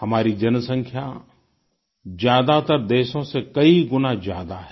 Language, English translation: Hindi, Our population itself is many times that of most countries